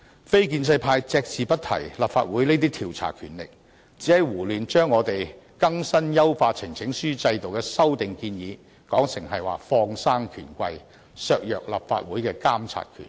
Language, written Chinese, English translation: Cantonese, 非建制派隻字不提立法會這些調查權力，只是胡亂把我們優化呈請書制度的修訂建議說成是放生權貴、削弱立法會的監察權。, Members from the non - establishment camp did not say a word about this type of investigative power of the Council but only senselessly alleged that our proposed amendments to enhance the petition system would result in bigwigs being let off the hook and the monitoring power of the Council being undermined